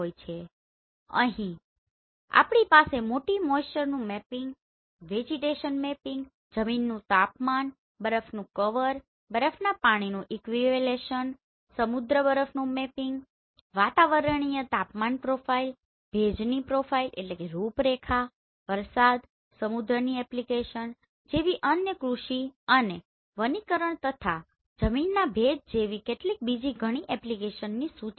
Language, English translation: Gujarati, And here we have some list like soil moisture mapping, vegetation mapping, soil temperature, snow cover and snow water equivalent, sea ice mapping, atmospheric temperature profile, humidity profile, precipitation, ocean application right in other application like agriculture and forestry, soil moisture already this soil temperature I have mentioned, geology, hydrology, oceanography, snow and ice, land use, land cover, urban analysis